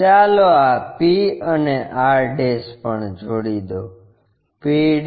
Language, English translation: Gujarati, Let us join this p and r' also, p' and r'